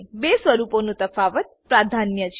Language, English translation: Gujarati, Difference in the two forms is precedence